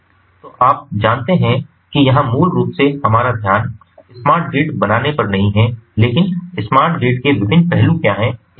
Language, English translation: Hindi, basically, you know, our focus is not on how to build a smart grid, but what are the different aspects of smart grids